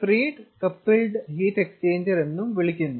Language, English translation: Malayalam, it is also called freed coupled heat exchanger